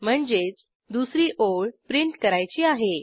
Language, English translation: Marathi, We want to select the second line